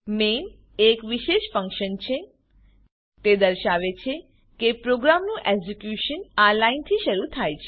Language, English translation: Gujarati, main is a special function It denotes that the execution of the program begins from this line